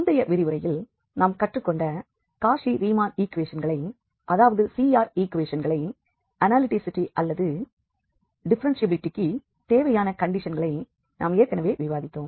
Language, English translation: Tamil, So, just to recall what we have learned in previous lecture, that was the Cauchy Riemann equations, that is CR equations, the necessary conditions for analyticity or differentiability that was already discussed